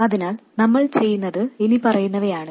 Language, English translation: Malayalam, So, what we do is the following